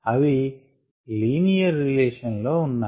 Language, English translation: Telugu, that's the linear relationship